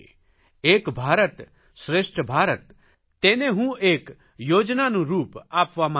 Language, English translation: Gujarati, I want to give "Ek Bharat Shreshtha Bharat" One India, Best India the form of a specific scheme